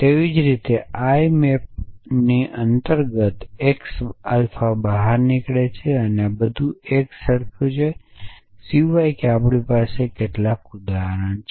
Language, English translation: Gujarati, Likewise the exits x alpha under i A maps true all this is a same except that instead of every we have some